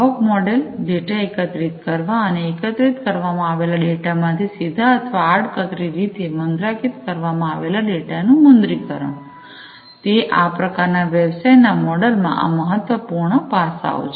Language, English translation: Gujarati, The revenue model, collecting the data, and also monetizing the data that is collected directly or indirectly monetizing from the data that is collected; so collecting and monetizing from the collected data directly or indirectly, these are important aspects in this kind of business model